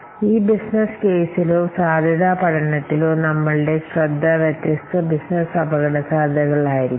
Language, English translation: Malayalam, In this business case of the feasibility study, our focus will be on the different business risks